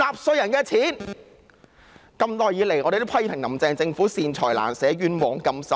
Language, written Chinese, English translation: Cantonese, 我們一直批評"林鄭"政府"善財難捨，冤枉甘心"。, We have been criticizing Carrie LAMs Government for being tight - fisted for benevolent causes but lavish on unworthy causes